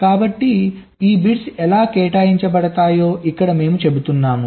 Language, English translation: Telugu, so here we are saying how this bits are assigned